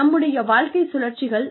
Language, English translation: Tamil, Our life cycles